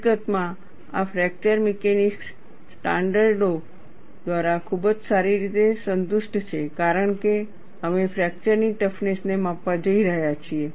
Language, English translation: Gujarati, In fact, this is very well satisfied by fracture mechanics standards, because we are going to measure fracture toughness and that is what, is depicted here